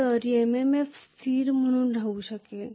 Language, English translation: Marathi, So MMF can remain as a constant